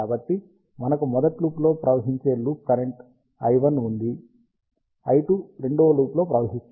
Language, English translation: Telugu, So, we have a loop current i 1 flowing in the first loop, i 2 flowing in the second loop